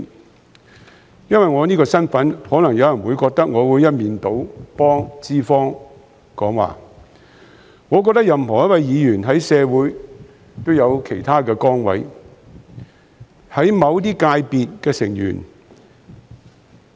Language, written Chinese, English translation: Cantonese, 有人可能因為我的身份而認為我會一面倒替資方說話，但我認為任何議員在社會上也有其他崗位，是某些界別的成員。, Some people might think that I will lopsidedly speak for the employers due to my position; however I consider that every Member has other positions in society say members of certain sectors